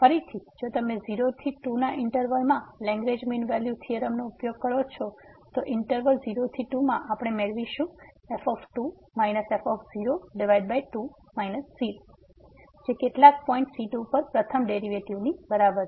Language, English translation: Gujarati, Again if you use the Lagrange mean value theorem in the interval to ; in the interval to we will get minus this over minus is equal to the first derivative at some point